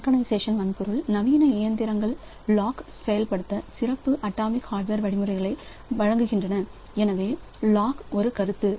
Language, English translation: Tamil, Synchronization hardware, so modern machines they provide special atomic hardware instructions to implement the locks